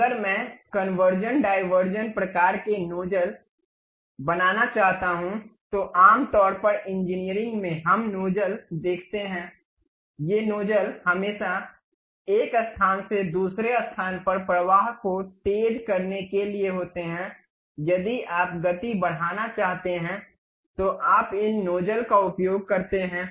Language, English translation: Hindi, If I would like to construct a converging diverging kind of nozzles, typically in engineering, we see nozzles, these nozzles always be to accelerate the flow from one location to other location if you want to increase the speed, you use these nozzles